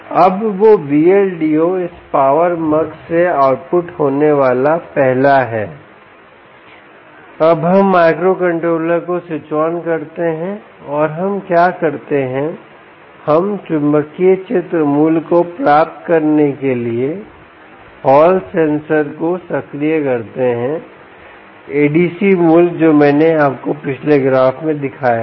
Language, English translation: Hindi, now that v l d o is the first one to be the output from this power mux, we now switch on the microcontroller and what we do is we energize the hall sensor to obtain the magnetic field value, the a d c value, which i showed you in the previous graph